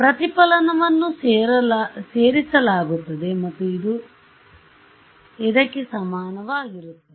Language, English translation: Kannada, The reflection will get added and it will be equal to this